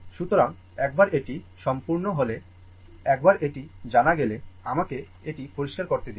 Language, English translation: Bengali, So, once it is done, once i is known right, let me clear it